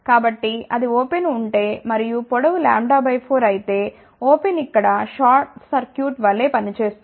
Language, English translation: Telugu, So, if it is open and if the length is lambda by 4 open will act as a short circuit here